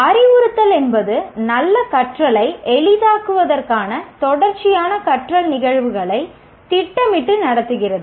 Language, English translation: Tamil, Instruction is planning and conducting, arranging a series of learning events to facilitate good learning